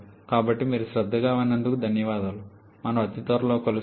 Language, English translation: Telugu, So, thanks for your attention we shall be meeting again very soon